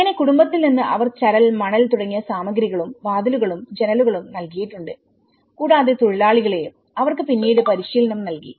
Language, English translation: Malayalam, So, in family they have provided the materials like the gravel, sand and things like that and also the doors and windows and they also provided the labour which got training later on